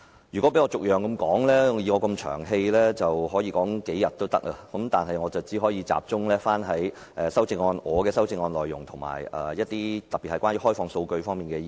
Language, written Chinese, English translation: Cantonese, 如果讓我逐一討論，以我這麼"長氣"，能夠說足數天，但我只可集中於我的修正案內容，以及特別是與開放數據有關的一些意見。, If I were to discuss them one by one given that I am so long - winded I could talk for days on end . However I can only focus on the proposals in my amendment particularly on the views related to open data